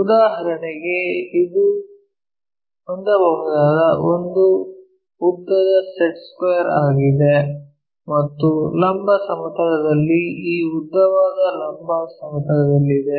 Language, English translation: Kannada, For example, this is the one longestset square what we can have and this longest one on vertical plane it is in vertical plane